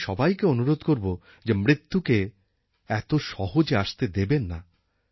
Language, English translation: Bengali, I would request you all that do not make death so cheap